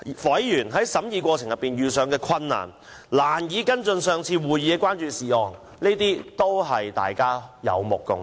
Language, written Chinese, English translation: Cantonese, 委員在審議過程中，難以跟進上次會議的關注事項，這困難也是大家有目共睹的。, During the deliberation process it was evident to all that it was difficult for members to follow up on their concerns raised at previous meetings